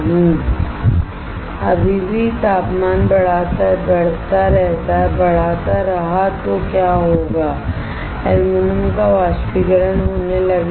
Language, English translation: Hindi, If I still keep on increasing the temperature then what will happen aluminum will start evaporating